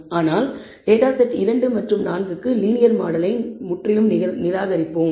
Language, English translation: Tamil, But for 2 and 4 we will completely reject the linear model